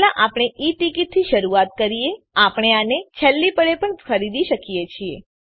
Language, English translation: Gujarati, First we will begin with E ticket one can buy this at the last minute also